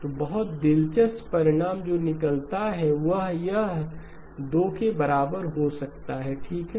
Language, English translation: Hindi, So very interesting result that emerges these 2 may be equal, okay